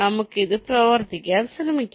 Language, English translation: Malayalam, lets try to work out this